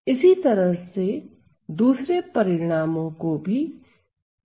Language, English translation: Hindi, Similarly other results can be proved